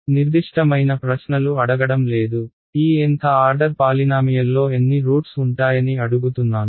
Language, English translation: Telugu, I am not asking a very specific question ok, I am just saying how many roots will there be of this Nth order polynomial